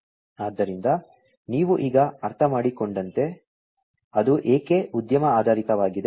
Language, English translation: Kannada, So, as you can now understand, why it is industry oriented